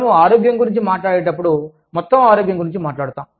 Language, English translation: Telugu, When we talk about health, we talk about, overall health